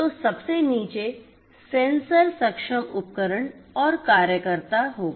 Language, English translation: Hindi, So, at the very bottom we will have this sensor enabled tools and workers